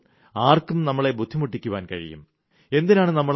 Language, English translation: Malayalam, As a result, anybody can trouble and harass us